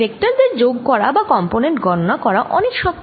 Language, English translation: Bengali, out here, adding vectors or calculating components is much more